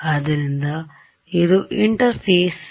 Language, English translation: Kannada, So, there an interface